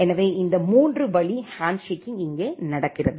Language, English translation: Tamil, So, this three way handshaking is happening here